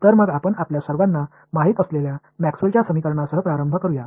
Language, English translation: Marathi, So, let us get started with Maxwell’s equations which all of you know